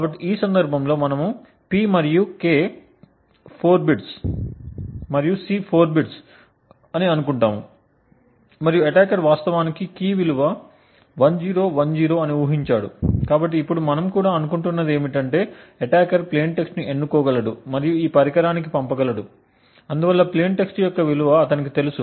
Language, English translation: Telugu, So in this case we are assuming that P and K are of 4 bits and also C is a 4 bits and the attacker has actually guessed that the key value is 1010, so now what we are also assuming is that the attacker is able to choose or select plain text and sent to this device and therefore he knows the value of plain text, side by side as this F function is being operated upon the attacker is able to monitor the power consumed by the device